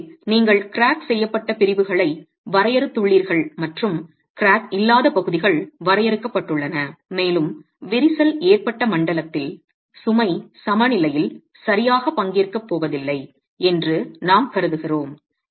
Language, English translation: Tamil, So you've got cracked sections defined and the uncracked sections defined and we are going to be assuming that the cracked zone is not going to participate in the load equilibrium itself